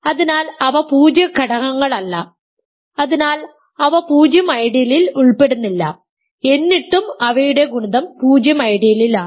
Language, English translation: Malayalam, So, they are not zero elements hence they do not belong to the 0 ideal yet their product is in the 0 ideal